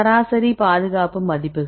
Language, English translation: Tamil, Average property values conservation